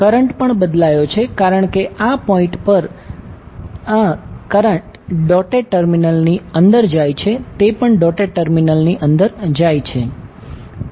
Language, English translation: Gujarati, Current is also change because 1 is going inside the dotted terminal at this point also it is going inside the dotted terminal